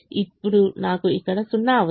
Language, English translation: Telugu, now i need a zero here